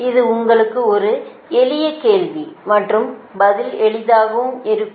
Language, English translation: Tamil, this is a simple question to you and answer also will be simple